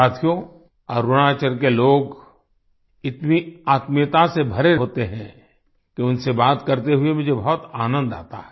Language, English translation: Hindi, Friends, the people of Arunachal are so full of warmth that I enjoy talking to them